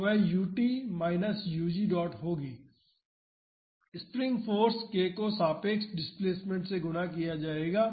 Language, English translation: Hindi, So, that would be u t minus u g dot, the spring force would be k multiplied by the relative displacement